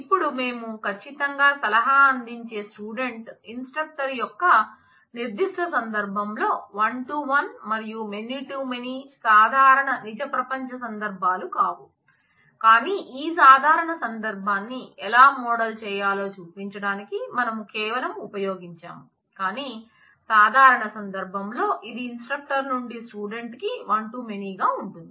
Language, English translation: Telugu, Now, we can you can certainly figure out that in the particular case of student instructor scenario of providing advice, one to one as well as many to many are not the usual real world scenarios, but these are we have just using to show you how to model this usual scenario would be from instructor to student it is one to many relationship